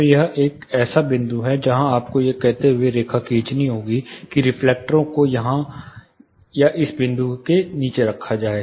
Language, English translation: Hindi, So, this is a point where you have to draw line saying, the reflectors would be placed, somewhere here or below this point